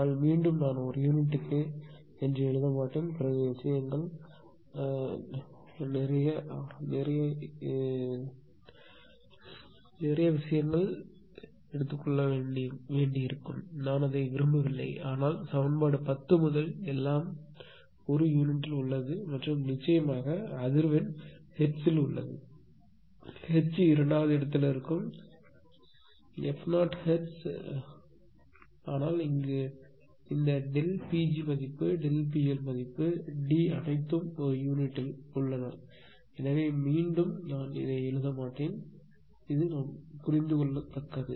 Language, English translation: Tamil, But again and again I will not write per unit then things will become clumsy; I do not want that, but equation 10 onwards, everything is in per unit and frequency of course, is in hertz, H will remain second, f 0 also will remain in hertz right, but this delta P g value delta delta P L value D all are in per unit right